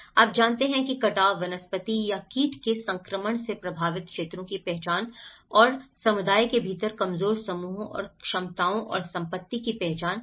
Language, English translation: Hindi, You know, the identified areas affected by erosion, loss of vegetation or pest infestation and identify vulnerable groups and capacities and assets within the community